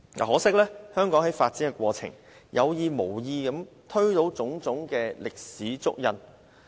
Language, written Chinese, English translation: Cantonese, 可惜，香港在發展過程中，有意無意地推倒了種種歷史足印。, Unfortunately as Hong Kong develops various historical traces have been erased intentionally and unintentionally